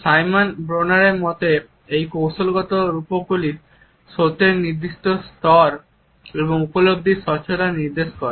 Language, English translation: Bengali, In the opinion of Simon Bronner, these tactual metaphors suggest is certain level of truth and a clarity of perception